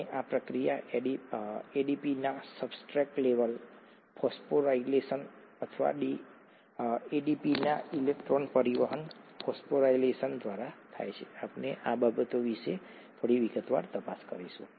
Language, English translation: Gujarati, And this process happens through what is called a substrate level phosphorylation of ADP or an electron transport phosphorylation of ADP, we will look at a little bit in detail about these things